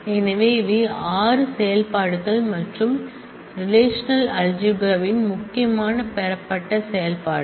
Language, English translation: Tamil, So, these were the 6 operations and the important derived operations of relational algebra